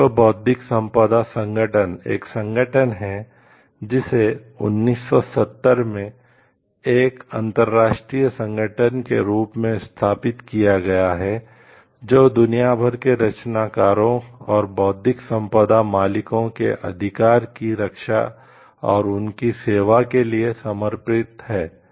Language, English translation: Hindi, The world intellectual property organization is an organization which is established in 1970 to is an international organization, devoted to serving and ensuring the rights of creators and owners of intellectual property are protected worldwide